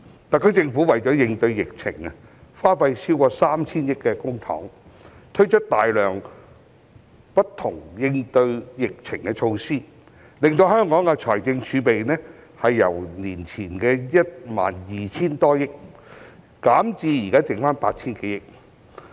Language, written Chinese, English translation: Cantonese, 特區政府為應對疫情，耗資超過 3,000 億元公帑，推出大量應對疫情的措施，令香港的財政儲備由前年 12,000 多億元，減至目前餘下 8,000 多億元。, In response to the epidemic the SAR Government has spent more than 300 billion of public coffers to introduce a large number of anti - epidemic measures resulting in a reduction of Hong Kongs fiscal reserves from more than 1,200 billion in the year before last to the current balance of just over 800 billion